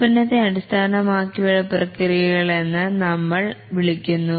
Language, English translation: Malayalam, Those we call as product oriented processes